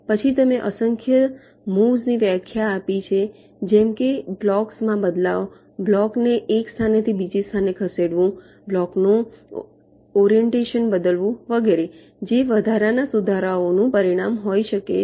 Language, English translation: Gujarati, then you defined a number of moves, like, for example, exchanging to blocks, moving of block from one position to another, changing the orientation of a block, etcetera, which might resulting incremental improvements